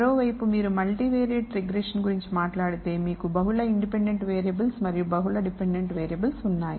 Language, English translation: Telugu, On the other hand if you talk about a multivariate regression problem you have multiple independent variables and multiple dependent variables